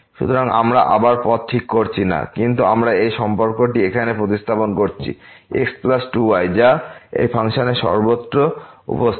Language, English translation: Bengali, So, we are not fixing again the path, but we have substituted this relation here plus 2 which appear everywhere in this function